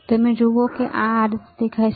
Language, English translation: Gujarati, You see, this is how it looks